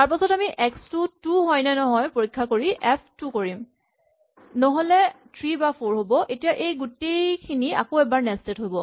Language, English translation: Assamese, Then we check in this case, if x is equal to 2 then we do f2 otherwise, we have 3 or 4, so now all of this is nested once again